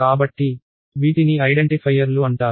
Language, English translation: Telugu, So, these are called identifiers